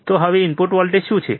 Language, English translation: Gujarati, What is the input voltage